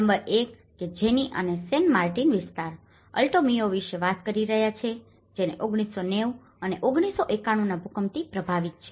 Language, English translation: Gujarati, Number 1 which we are talking about San Martin area, Alto Mayo which has been affected by 1990 and 1991 earthquakes